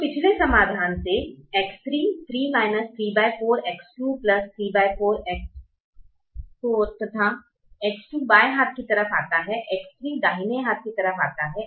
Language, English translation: Hindi, so from the previous solution, x three was three minus three by four x two plus three by four x four